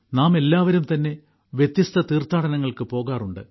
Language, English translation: Malayalam, All of us go on varied pilgrimages